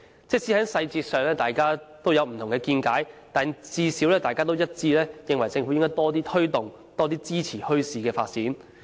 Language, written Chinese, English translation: Cantonese, 即使在細節上大家持不同見解，但最少一致認為政府應該多推動及支持墟市的發展。, They may disagree on the details but at least they all agree that the Government should make a greater effort in promoting and supporting the development of bazaars